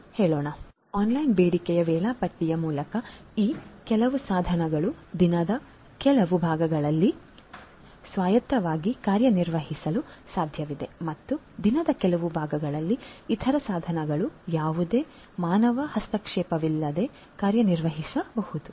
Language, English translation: Kannada, So, through online demand scheduling it would be possible to have some of these devices operate autonomously in certain parts of the day and in certain other parts of the day other devices may be operated without any human intervention